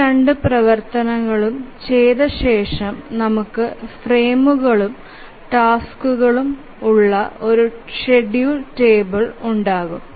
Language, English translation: Malayalam, So, after doing both of these actions we will have the schedule table where we have the frames and the tasks